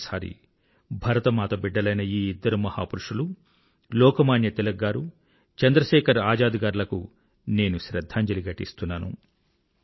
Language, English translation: Telugu, Once again, I bow and pay tributes to the two great sons of Bharat Mata Lokmanya Tilakji and Chandrasekhar Azad ji